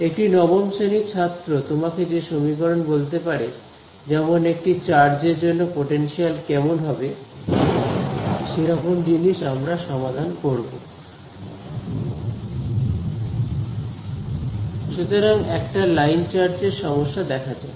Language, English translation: Bengali, The equation for which you know a class 9th student can tell you , potential due to a charge that that kind of a thing and then we will solve it